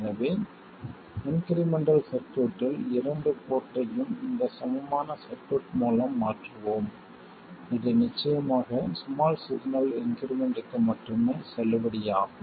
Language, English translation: Tamil, So, in the incremental circuit we substitute the two port by this equivalent circuit which is valid of course only for small signal increments and go ahead with the analysis